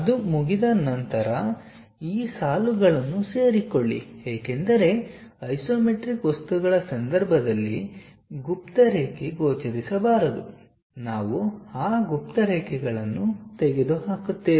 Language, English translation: Kannada, Once that is done draw join these lines because hidden line should not be visible in the case of isometric things, we remove those hidden lines